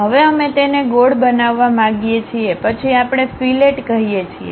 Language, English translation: Gujarati, Now, we want to round it off then we call fillet